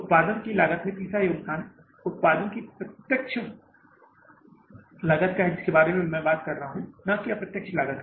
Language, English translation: Hindi, Third contribution of the cost of the production is direct cost of the production I am talking about, not indirect cost